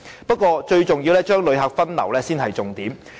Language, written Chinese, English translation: Cantonese, 不過，最重要是將旅客分流，這是重點所在。, No matter how diversion of visitors is the most important task